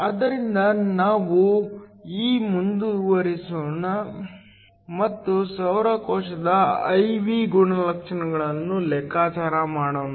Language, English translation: Kannada, So, Let us now go ahead and calculate the I V characteristics of a solar cell